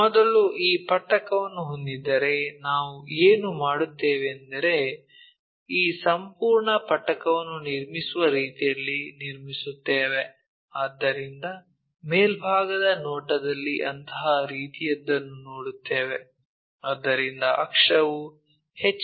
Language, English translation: Kannada, So, it is more like if we have this if we have this prism first what we will do is we construct in such a way that this entire prism, so in the top view we will see something like such kind of thing, so where axis is perpendicular to HP